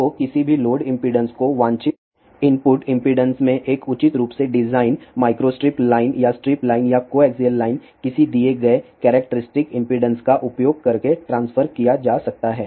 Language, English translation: Hindi, So, any load impedance can be transfer to the desired input impedance by using a properly design micro strip line or strip line or coaxial line of a given characteristic impedance